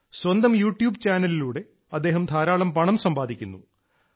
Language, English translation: Malayalam, He is earning a lot through his YouTube Channel